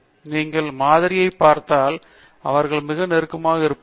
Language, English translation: Tamil, When you look at the sample means they look pretty close